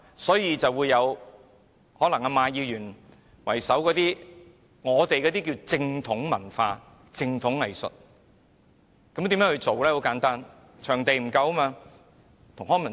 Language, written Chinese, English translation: Cantonese, 所以，現在便出現以馬議員為首的所謂正統文化、正統藝術，這是如何運作的呢？, Hence what we have now are something called orthodox culture and orthodox arts which Mr MA has taken the lead to create and how do they operate?